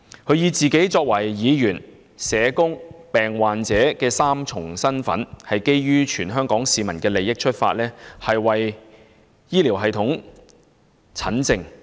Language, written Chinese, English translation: Cantonese, 他以自己作為議員、社工及病患者的三重身份，從全港市民的利益出發，為本港醫療系統診症。, Given his triple roles as a Legislative Council Member a social worker and a patient he attempted to diagnose the local healthcare system for the benefit of all the Hong Kong citizens